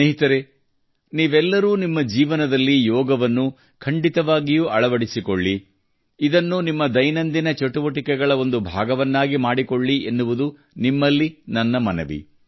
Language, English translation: Kannada, Friends, I urge all of you to adopt yoga in your life, make it a part of your daily routine